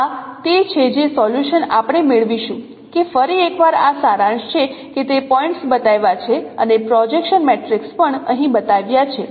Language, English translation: Gujarati, So this is how the solution we will get that once again is a summary that those are the points shown and also the projection matrix shown here